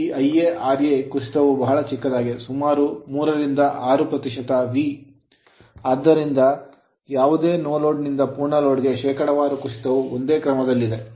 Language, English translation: Kannada, So, this I a r a drop is very small about 3 to 6 percent of V therefore, the percentage drop is speed from no load to full load is of the same order right